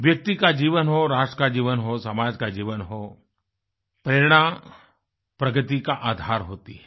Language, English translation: Hindi, Whether it is the life of a person, life of a nation, or the lifespan of a society, inspiration, is the basis of progress